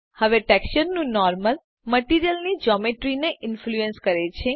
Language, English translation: Gujarati, Now the Normal of the texture influences the Geometry of the Material